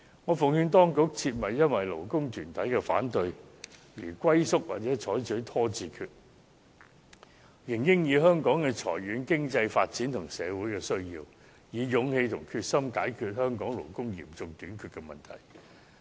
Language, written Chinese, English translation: Cantonese, 我奉勸當局，切勿因為勞工團體的反對而龜縮或採取拖字訣，應考慮香港的長遠經濟發展和社會需要，以勇氣和決心解決本地勞工嚴重短缺的問題。, I advise the Administration not to recede or procrastinate because of the opposition from the labour organizations . It should resolve the problem of serious shortage of local labour with courage and determination by considering the long - term economic development and social needs of Hong Kong